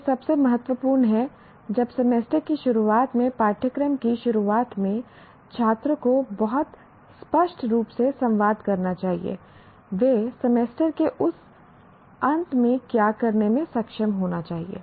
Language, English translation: Hindi, When at the beginning of the course, at the beginning of the semester, the student should, one should communicate to the student very clearly what they should be able to do at the end of the semester